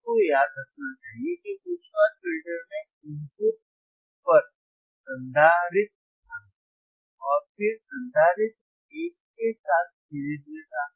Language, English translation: Hindi, Now, we all remember, right, we should all remember that in high pass filter, there was capacitor at the input, and then capacitor was in series with a resistor